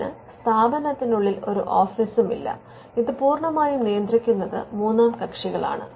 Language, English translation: Malayalam, It does not have any office within the institute, it is completely managed by the third parties